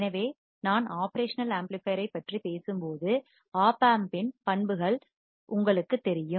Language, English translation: Tamil, So, when I talk about operational amplifier, you guys know the characteristics of op amp